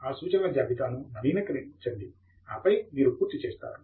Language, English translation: Telugu, Update the references list and then you are done